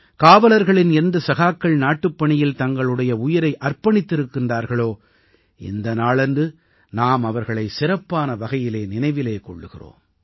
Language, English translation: Tamil, On this day we especially remember our brave hearts of the police who have laid down their lives in the service of the country